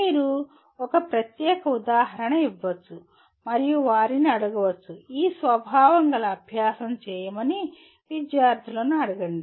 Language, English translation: Telugu, You can give a particular example and ask them, ask the students to do an exercise of this nature